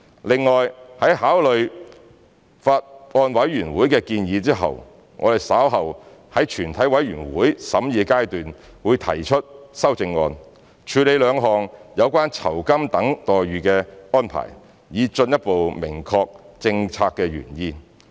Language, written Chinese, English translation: Cantonese, 另外，在考慮了法案委員會的建議後，我們稍後在全體委員會審議階段會提出修正案，處理兩項有關酬金等待遇的安排，以進一步明確政策原意。, In addition after considering the recommendations of the Bills Committee we will later propose amendments at the Committee stage to deal with two arrangements related to remuneration and other benefits to further clarify the original policy intent